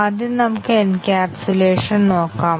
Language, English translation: Malayalam, First let us look at encapsulation